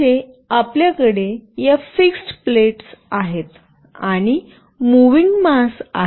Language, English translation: Marathi, Here we have these fixed plates, and here we have the moving mass